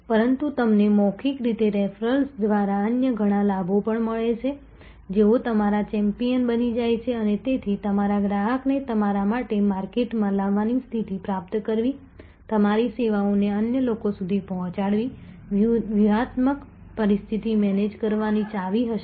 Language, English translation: Gujarati, But, you also get several other benefits by way of referral by way of word of mouth they become your champion and therefore, attaining the status of getting your customer to market for you, refer your services to other people will be the key to managing a strategic situation